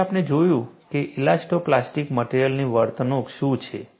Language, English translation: Gujarati, Then, we looked at, what is an elasto plastic material behavior